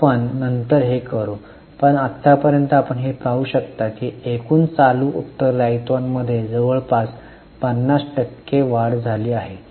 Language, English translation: Marathi, We will do later on but as of now we will see that we can see that nearly 50% rise in the total current liabilities